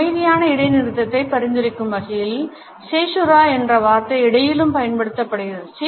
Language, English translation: Tamil, The word caesura is also used in music to suggest a silent pause